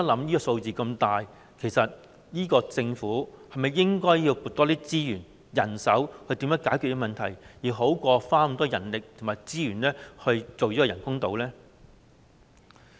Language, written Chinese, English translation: Cantonese, 我們想一想，這數字如此龐大，政府是否應該多撥資源、人手來解決這問題，而不是花那麼多人力和資源來興建人工島呢？, Let us think about it . As this figure is so huge should the Government allocate more resources and manpower to solve this problem instead of using so much manpower and resources to build artificial islands?